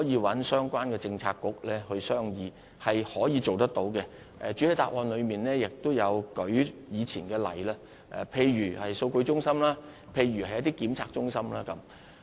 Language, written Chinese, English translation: Cantonese, 我想指出，這是可以做到的，我在主體答覆亦提及過往一些例子，例如數據中心或測試中心等。, I would like to point out that the above is feasible . I have also mentioned some such examples in the main reply such as the data centres testing centres etc